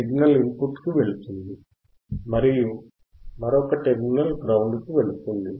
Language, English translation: Telugu, The signal goes to the input and another terminal goes to the ground another terminal goes to the ground